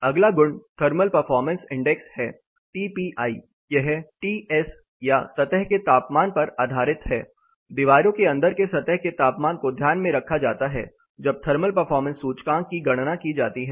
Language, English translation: Hindi, The next property is thermal performance index; TPI it is based on Ts or the surface temperature, inside surface temperature of walls are taken into account when thermal performance index is calculated